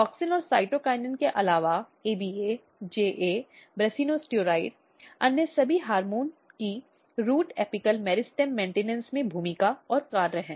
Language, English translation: Hindi, Just to highlight something that apart from auxin and cytokinin, ABA, JA, brassionosteroid, all other hormones are having role and functions in root apical meristem maintenance